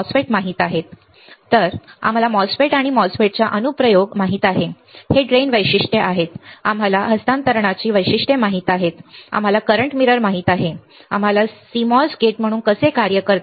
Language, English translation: Marathi, We know and n MOSFET we knows the application of MOSFETs right, it is drain characteristics we know the transfer characteristics, we know the current mirror, we know how CMOS works at least as a not gate right